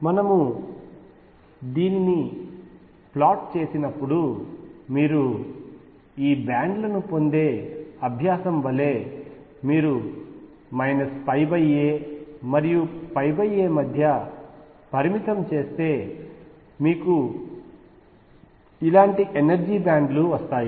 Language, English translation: Telugu, And when we plot it which you will do as a practice where you get these bands are if you restrict between, minus pi by a and pi by a you get energy bands like this and so on